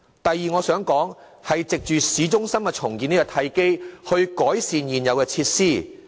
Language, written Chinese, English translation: Cantonese, 第二，當局善用市中心重建這個契機，改善現有設施。, Second the authorities should optimize the opportunity offered by the town centre redevelopment project to improve the existing facilities